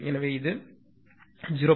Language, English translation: Tamil, So, it is 0